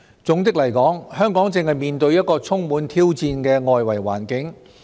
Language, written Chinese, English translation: Cantonese, 總的來說，香港正面對一個充滿挑戰的外圍環境。, In a nutshell Hong Kong is facing a most challenging external environment